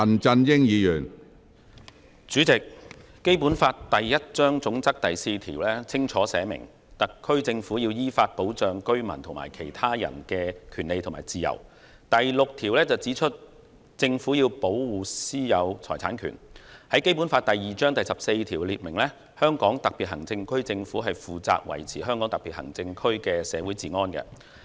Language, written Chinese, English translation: Cantonese, 主席，《基本法》第一章總則第四條清楚訂明特區政府要依法保障居民及其他人的權利和自由；第六條指出政府要保護私有財產權；《基本法》第二章第十四條訂明香港特別行政區政府負責維持香港特別行政區的社會治安。, President Article 4 of Chapter I of the Basic Law clearly stipulates that the SAR Government shall safeguard the rights and freedoms of the residents and of other persons in accordance with law; Article 6 states that the Government shall protect the right of private ownership of property; Article 14 of Chapter II of the Basic Law stipulates that the Government of the Hong Kong Special Administrative Region shall be responsible for the maintenance of public order in the Region